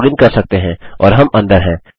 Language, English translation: Hindi, We can login and we are in